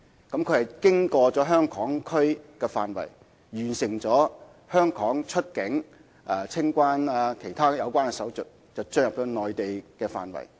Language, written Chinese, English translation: Cantonese, 旅客是在香港的範圍內完成香港的出境及清關手續後才進入內地管制的範圍。, Travellers complete the CIQ procedures within the Hong Kong area before entering the area controlled by the Mainland